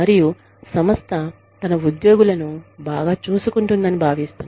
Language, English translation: Telugu, And the organization feels that, it is taking good care, of its employees